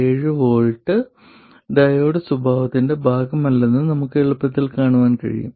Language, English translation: Malayalam, 7 volts is not part of the diode characteristic at all